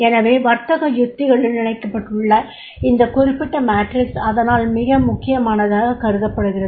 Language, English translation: Tamil, So therefore these particular matrix which has been linked to the business strategies, this is important